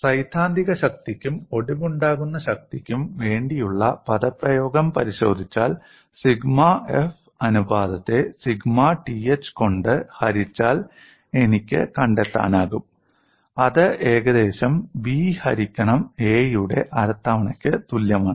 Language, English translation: Malayalam, And if you look at the expression for theoretical strength as well as a fracture strength I can find out the ratio of sigma f divided by sigma th, that is approximately equal to b by a whole power half